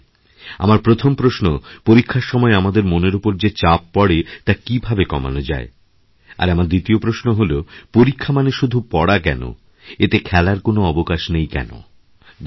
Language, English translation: Bengali, My first question is, what can we do to reduce the stress that builds up during our exams and my second question is, why are exams all about work and no play